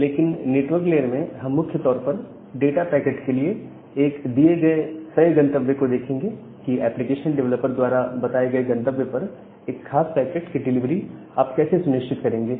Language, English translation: Hindi, But in the network layer we will primarily look into that given a particular destination for a data packet, how will you ensure that the particular packet is delivered to that destination which is mentioned by the application developer